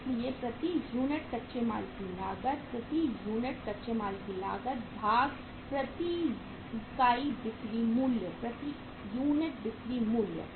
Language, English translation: Hindi, So cost of raw material per unit, cost of raw material per unit divided by selling price per unit, selling price per unit